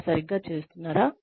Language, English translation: Telugu, Are they doing it right